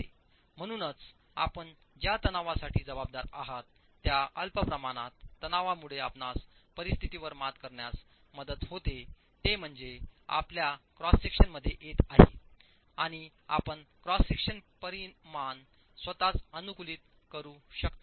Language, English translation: Marathi, So this small amount of tension that you can account for can help you overcome situations where small amount of tension is coming into your cross section and you can optimize the cross section dimension itself